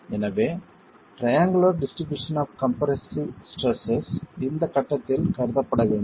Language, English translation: Tamil, So the triangular distribution of compressive stresses continues to be considered at this stage